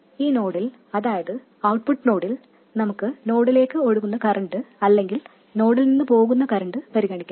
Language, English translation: Malayalam, And at this node, at the output node, we can consider either current flowing into the node or away from the node